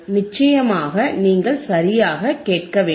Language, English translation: Tamil, oOff course you have to listen right